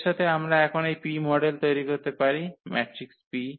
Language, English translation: Bengali, So, having this we can now form this P the model matrix P